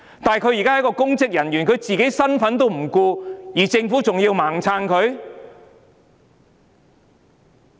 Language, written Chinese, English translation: Cantonese, 她是公職人員，但她連自己的身份也不顧，政府為何還要"盲撐"她？, Yet she is now a public officer but she pays no attention to her public capacity; why does the Government still support her indiscriminately?